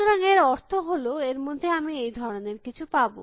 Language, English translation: Bengali, So, which means inside of this, I would have something like this